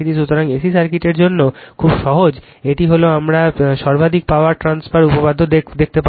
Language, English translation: Bengali, So, for A C circuit also very simple it is we will see the maximum power transfer theorem